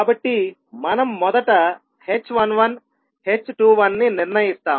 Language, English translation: Telugu, So we will first determine the h11, h21